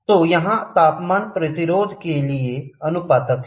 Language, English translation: Hindi, So, here temperature is proportional to the resistance